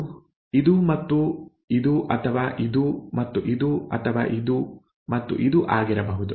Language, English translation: Kannada, It would either be this and this or this and this or this and this